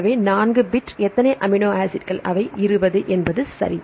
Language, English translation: Tamil, So, 4 bit of how many amino acids 20 right